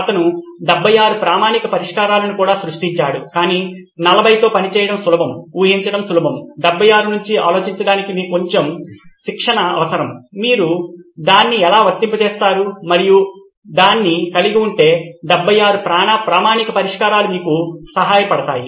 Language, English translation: Telugu, He also generated 76 standard solutions that also became popular but 40 is easier to work with, easier to imagine, 76 requires a little bit of training for you to think about it, how do you apply it and if you have it nailed down the problem nailed down then 76 standard solutions help you